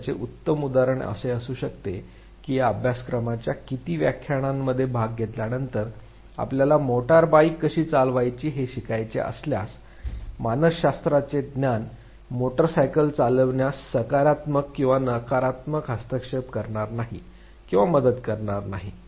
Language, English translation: Marathi, And the best example could be that after attending how many 12 lectures of this very course, if you have to learn how to ride a motor bike, knowledge of psychology is not going to either positively or negatively interfere or help in the driving the motor bike, so there is zero transfer